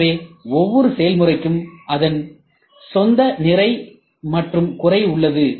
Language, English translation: Tamil, So, every process has its own capability plus and minus